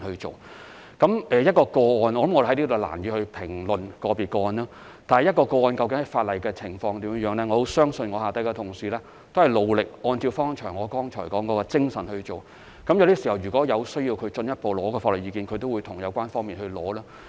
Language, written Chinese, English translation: Cantonese, 就個別個案，我在此難以作出評論，但在執行法例的情況，我相信我的同事都是很努力，按照我剛才所說的精神辦事；如果需要進一步索取法律意見，他們也會與有關方面索取。, It is hard for me to comment on individual cases here . But when it comes to law enforcement I believe my colleagues have been working very hard to deal with such cases with the approach just mentioned . If further legal advice is needed they will approach the authorities concerned as well